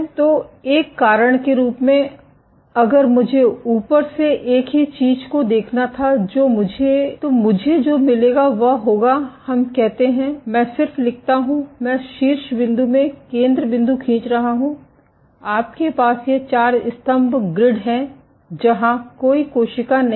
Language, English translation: Hindi, So, as a cause so, if I were to look at the same thing on from the top, what I will get is so, let us say, I just write down the I am drawing the center point in top view, you have this four pillar grid where no cells are there